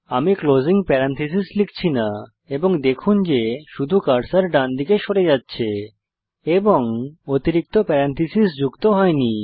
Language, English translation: Bengali, Im now typing the closing parenthesis and note that only the cursor moves to the right and the extra parenthesis is not added